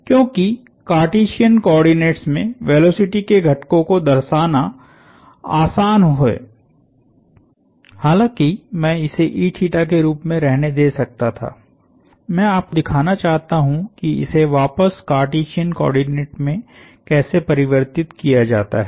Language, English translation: Hindi, Because it is easy to represent velocity components in Cartesian coordinates and although I could have left it in e theta terms, I want to show you how to convert back to Cartesian coordinates also